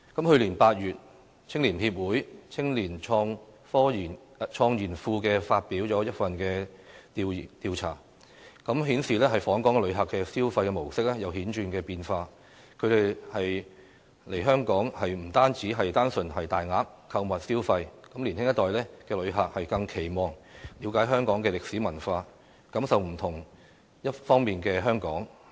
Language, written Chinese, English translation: Cantonese, 去年8月，香港青年協會青年創研庫發表了一份調查，顯示訪港旅客的消費模式有顯著變化，他們來香港，已不再是單純大額購物消費，年輕一代的旅客更期望了解香港歷史文化，感受不同面貌的香港。, of The Hong Kong Federation of Youth Groups last August shows that the consumption patterns of visitors to Hong Kong have markedly changed . They are no longer satisfied with solely shopping and big spending . For the younger generation they are more eager to understand Hong Kongs history and culture and to experience the various aspects of the city